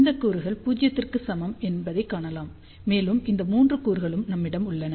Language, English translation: Tamil, You can see that these components are equal to 0, and we have these three other components